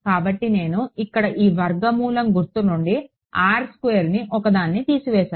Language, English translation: Telugu, So, I pulled out a R from this square root sign over here all right